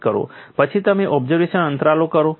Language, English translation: Gujarati, Then you do the inspection intervals